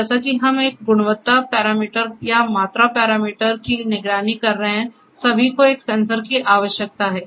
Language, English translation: Hindi, So, like whether we are monitoring a quality parameter or a quantity parameter all we need a sensor